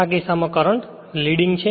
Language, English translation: Gujarati, In this case current is leading right